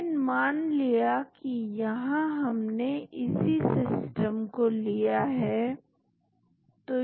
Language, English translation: Hindi, But, assume that we take this particular system